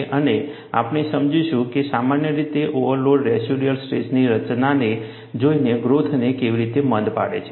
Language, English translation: Gujarati, And we would understand how the overloads, in general, retard crack growth, by looking at the residual stress formation